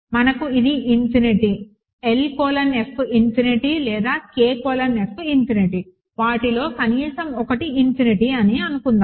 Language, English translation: Telugu, Suppose, that we have either this is infinity, L colon F is infinity or K colon F is infinity, at least one of them is infinity